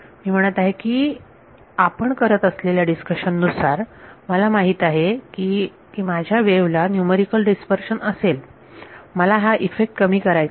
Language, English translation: Marathi, I am saying, I know based on this discussion I know that my wave will have numerical dispersion I want to mitigate that effect